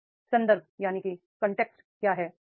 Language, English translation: Hindi, Now what is the context